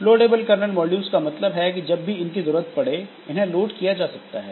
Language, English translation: Hindi, So, loadable kernel modules means as and when required the kernel modules will be loaded